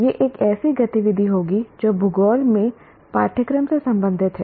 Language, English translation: Hindi, This will be an activity related to course in geography